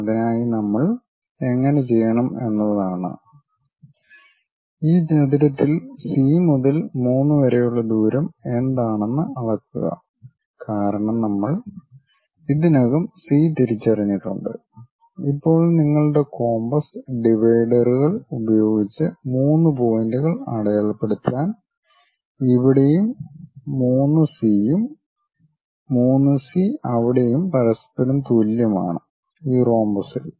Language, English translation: Malayalam, For that purpose the way how we do is, measure what is the distance of C to 3 on this rectangle because we have already identified C, now use your compass dividers to mark three points where 3C here and 3C there are equal to each other on this rhombus